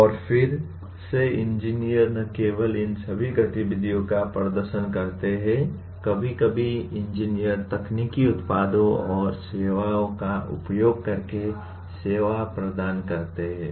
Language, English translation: Hindi, And again engineers not only perform all these activities, sometimes engineers provide services using technological products and services